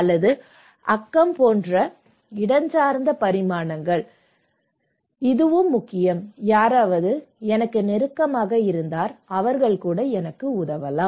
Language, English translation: Tamil, Or the spatial dimensions like neighbourhood, this is also important, if someone is at my close to me especially, it can help